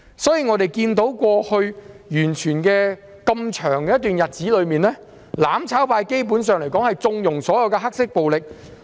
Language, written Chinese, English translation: Cantonese, 在過去一段很長的日子中，我們看到"攬炒派"基本上縱容所有黑色暴力。, For a long period in the past we witnessed the mutual destruction camp condone black violence